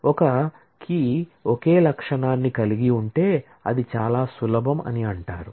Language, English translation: Telugu, A key is said to be simple, if it consists of a single attribute